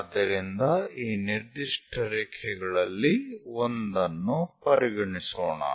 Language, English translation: Kannada, So, let us consider one of the particular line